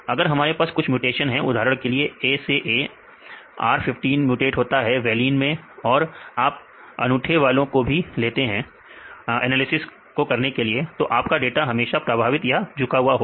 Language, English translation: Hindi, If we have the mutations you can get the unique mutations for example, A to A, R15 is mutated to valine, five data are available and you can consider the unique ones for setting the analysis otherwise if there is this plus your result will bias through this plus